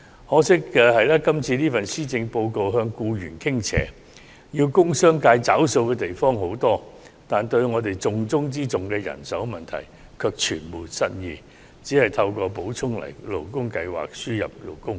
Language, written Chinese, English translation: Cantonese, 可惜的是，今年的施政報告向僱員傾斜，需要工商界付出的東西很多，但對於重中之重的人手問題卻全無新意，只透過補充勞工計劃輸入勞工。, Unfortunately the Policy Address this year has tilted towards employees at the heavy expense of the industrial and business sectors . Apart from importation of workers under the Supplementary Labour Scheme SLS there is nothing new about how to address the manpower problem which is of utmost importance